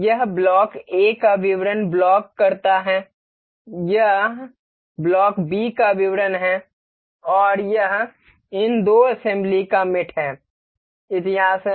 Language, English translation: Hindi, This is block A details of block A, this is details of block B and this is the mating history of these the two assembly